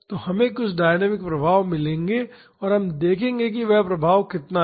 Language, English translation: Hindi, So, we will get some dynamic effects and we will see how much that effect is